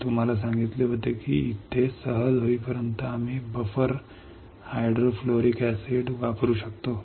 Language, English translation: Marathi, I had told you we can use buffer hydrofluoric acid until here is easy